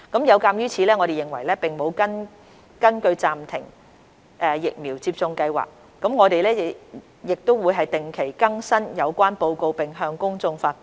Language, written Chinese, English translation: Cantonese, 有鑒於此，我們認為並無根據暫停疫苗接種計劃，我們亦會定期更新有關的報告並向公眾發布。, In view of this we believe that there is no basis for the suspension of the vaccination programme . We will also regularly update and publish the relevant report